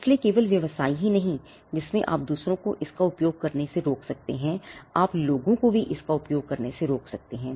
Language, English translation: Hindi, So, it may not be the businesses that in which you can stop others from using it you could also stop people from using it